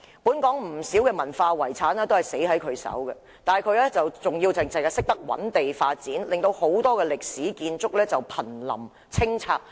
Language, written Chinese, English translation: Cantonese, 本港不少文化遺產都是毀於他的手中，但他依然只顧覓地建屋，致令很多歷史建築物瀕臨清拆。, A number of things that belong to cultural heritage had been destroyed in his hands and all he cares about is to identify land for housing development to the neglect that many historic buildings will soon be demolished